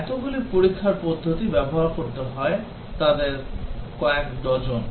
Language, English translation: Bengali, So many test methodologies have to be used, dozens of them